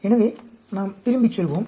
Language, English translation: Tamil, So, let us go back